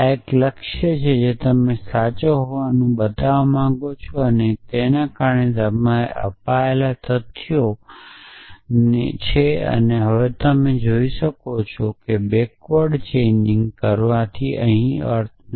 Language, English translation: Gujarati, This is a goal that you want to show to be true and that is the facts given to you now you can see that forward chaining backward chaining does not make sense here